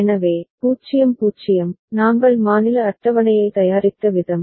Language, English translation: Tamil, So, 0 0, the way we have prepared the state table